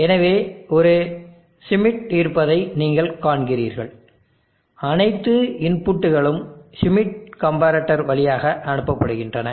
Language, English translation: Tamil, So you see there is a schmitt all the inputs are pass through schmitt comparator